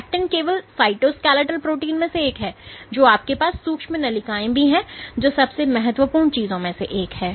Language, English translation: Hindi, So, actin is only one of the cytoskeletal proteins you also have microtubules, one of the most important things which